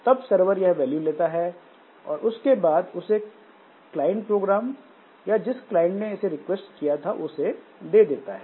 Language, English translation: Hindi, So then the server will take the value and give it back to the client program, the client that had requested it